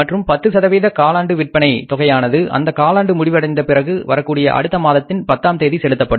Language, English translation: Tamil, And the additional 10% of sales is paid quarterly on the 10th of the month following the end of the quarter